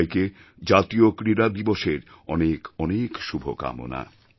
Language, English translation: Bengali, Many good wishes to you all on the National Sports Day